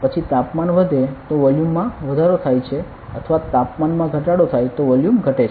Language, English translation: Gujarati, Then temperature increases volume increases or temperature decreases volume decreases